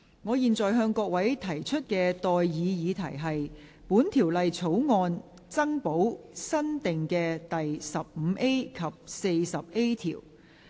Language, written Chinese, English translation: Cantonese, 我現在向各位提出的待議議題是：本條例草案增補新訂的第 15A 及 40A 條。, I now propose the question to you and that is That new clauses 15A and 40A be added to the Bill